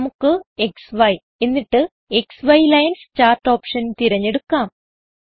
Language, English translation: Malayalam, Let us choose XY and XY Lines chart option